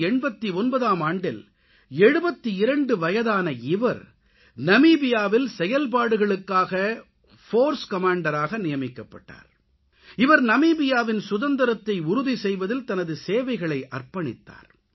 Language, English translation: Tamil, In 1989, at the age of 72, he was appointed the Force Commander for an operation in Namibia and he gave his services to ensure the Independence of that country